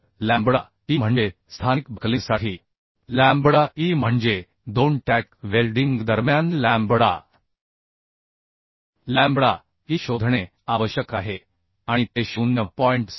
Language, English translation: Marathi, 6 lambda So lambda e we will find out lambda e means for local buckling means between two tack welding the lambda e has to be found and that has to be less than 0